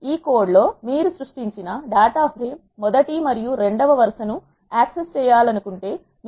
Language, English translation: Telugu, In this code we can see that if you want to access first and second row of the data frame that is created